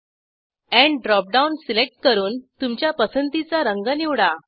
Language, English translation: Marathi, Select End drop down and select colour of your choice